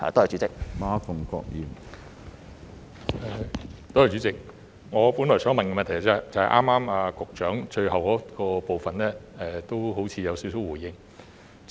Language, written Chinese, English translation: Cantonese, 主席，我本來想問的補充質詢，正是剛才局長最後回答的部分，他似乎已回應了一部分。, President it seems that the Secretary has already responded in the last part of his answer to part of the supplementary question which I intended to ask